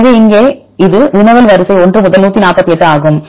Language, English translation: Tamil, So, here this is your query sequence this is 1 to 148